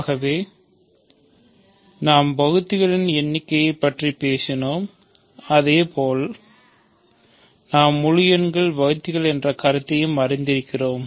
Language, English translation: Tamil, So, we talked about the notion of divisors, just like we have the notion of divisors in integers we have divisors